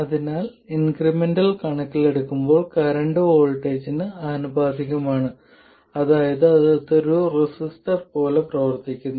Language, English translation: Malayalam, So as far as the increments are concerned, the current is proportional to voltage which means that it behaves like a resistor